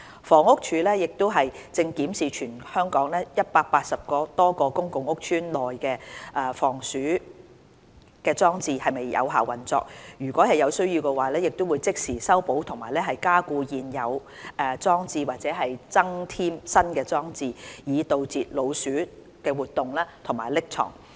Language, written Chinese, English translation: Cantonese, 房屋署亦正檢視全港180多個公共屋邨內的防鼠裝置是否有效運作，如有需要，會即時修補及加固現有裝置或增添新裝置，以阻截老鼠活動及匿藏。, The Housing Department has also been examining whether the rodent - proof devices installed in over 180 public housing estates function well and will repair reinforce or add devices at once if needed to eliminate rodents and their harbourage points